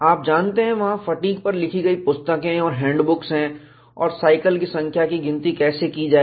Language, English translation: Hindi, You know, there are books and handbooks written on fatigue and how to count the number of cycles